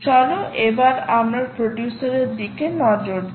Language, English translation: Bengali, let us focus right now on the producer side